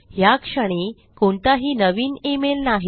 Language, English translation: Marathi, There are no new emails at the moment